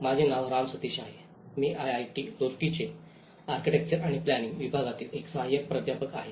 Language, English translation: Marathi, My name is Ram Sateesh, I am an Assistant Professor Department of Architecture and Planning, IIT Roorkee